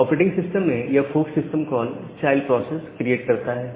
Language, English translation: Hindi, So, in operative system, this fork system call creates a child process